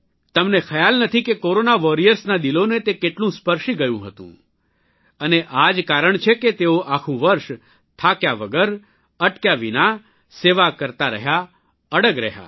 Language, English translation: Gujarati, You cannot imagine how much it had touched the hearts of Corona Warriors…and that is the very reason they resolutely held on the whole year, without tiring, without halting